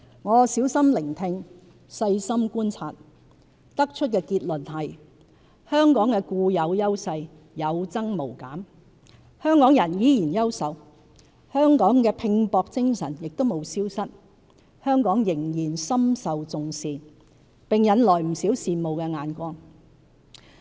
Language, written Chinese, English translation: Cantonese, 我小心聆聽、細心觀察，得出的結論是香港的固有優勢有增無減，香港人依然優秀，香港的拼搏精神亦無消失，香港仍然深受重視，並引來不少羨慕眼光。, By listening attentively and observing carefully I have come to the conclusion that Hong Kongs intrinsic strengths are ever increasing Hong Kong people remain outstanding our can - do spirit is alive and well and that Hong Kong is still highly regarded and envied by many